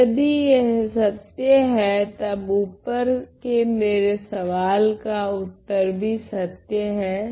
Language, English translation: Hindi, So, if that is true if this is true, then the answer to my question above is also true